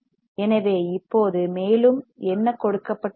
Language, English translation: Tamil, So, now further what is given